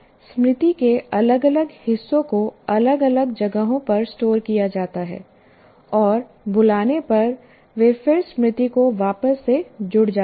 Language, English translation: Hindi, Different parts of the memory are stored in different sites, and they get reassembled when the memory is recalled